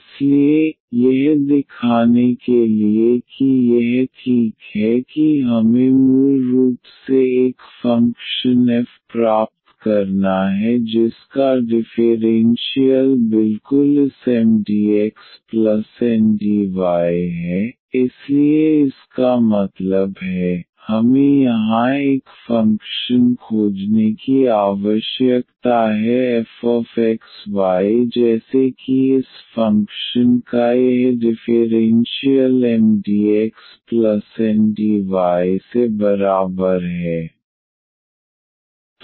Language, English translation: Hindi, So, to show that this is exact we have to basically get a function f whose differential is exactly this Mdx plus Ndy so that means, we need to find a function here f x y such that this differential of this function is equal to Mdx plus Ndy